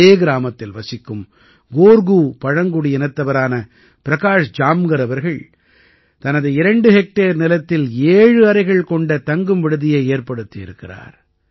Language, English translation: Tamil, Prakash Jamkar ji of Korku tribe living in the same village has built a sevenroom home stay on his two hectare land